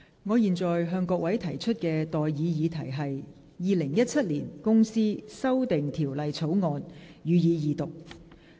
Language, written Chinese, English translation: Cantonese, 我現在向各位提出的待議議題是：《2017年公司條例草案》，予以二讀。, I now propose the question to you and that is That the Companies Amendment Bill 2017 be read the Second time